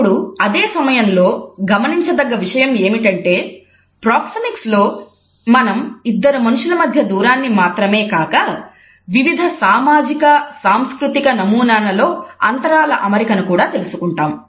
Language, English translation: Telugu, Now, at the same time we find that Proxemics does not only study the distance between the two or more interactants, it also looks at the arrangement of the space in different socio cultural patterns